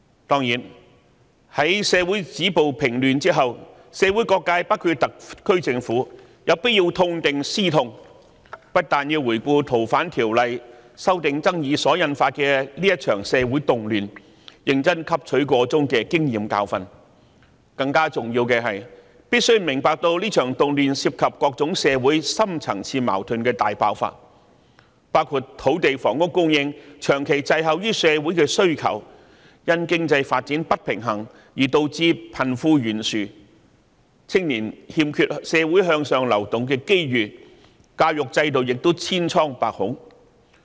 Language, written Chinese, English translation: Cantonese, 當然，在止暴平亂之後，社會各界——包括特區政府——必須痛定思痛，不但要回顧《逃犯條例》修訂爭議所引發的這場社會動亂，認真汲取箇中經驗和教訓，更重要的是，大家必須明白這場動亂涉及社會上各種深層次矛盾的大爆發，包括土地和房屋供應長期滯後於社會的需求、因經濟發展不平衡而導致貧富懸殊、年青人缺乏向上流動的機會，而教育制度亦千瘡百孔。, Of course after stopping violence and curbing disorder various sectors of society―including the SAR Government―must not forget the painful lessons and learn from them . They must not only review the social disturbances brought about by the controversy over the FOO amendment and earnestly learn from this experience and lesson . It is more important that they must also appreciate that this social unrest involves the explosion of various deep - rooted social conflicts including land and housing supply lagging for many years behind the needs of society the wide gap dividing the rich and the poor as a result of the imbalance in economic development lack of upward movement opportunities for the young people and the problem - ridden education system